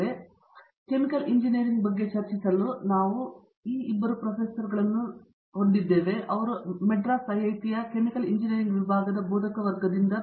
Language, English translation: Kannada, So, to discuss Chemical Engineering, we have 2 faculty from the Department of Chemical Engineering at IIT, Madras, who has joined us this morning